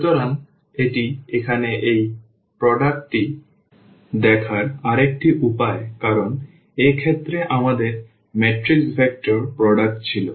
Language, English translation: Bengali, So, this is another way of looking at this product here because, in this case we had the matrix vector product